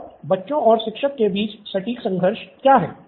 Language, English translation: Hindi, And what is the exact conflict between the children and the teacher